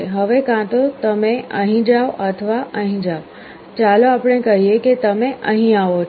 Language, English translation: Gujarati, Next step you either go up here or here, let us say you go here like this